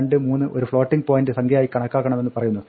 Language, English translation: Malayalam, 523 should be treated as a floating point value